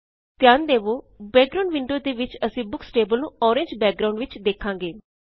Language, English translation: Punjabi, Also notice that in the background window, we see the Books table in an Orange background